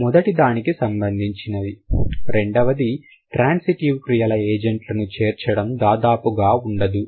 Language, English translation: Telugu, The second one is the incorporation of agents of transitive verbs is almost non existent